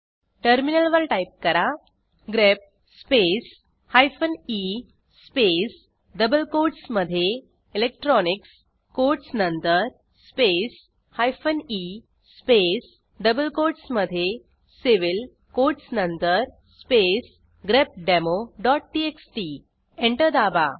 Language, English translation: Marathi, We need to type on the terminal: grep space hyphen e space within double quotes electronics after the quotes space hyphen e space in double quotes civil after the quotes space grepdemo.txt Press Enter